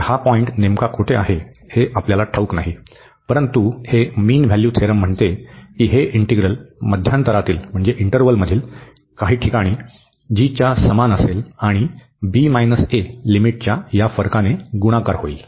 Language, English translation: Marathi, So, we do not know exactly where is this point, but this mean value theorem says that this integral will be equal to g at some point in the interval, and multiplied by this difference of the limit b minus a